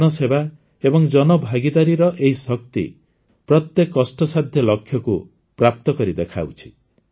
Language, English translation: Odia, This power of public service and public participation achieves every difficult goal with certainty